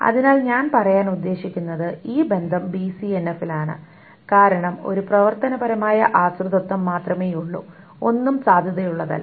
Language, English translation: Malayalam, So what I mean to say is this relation is in BC and F because there is only one functional dependency and nothing is valid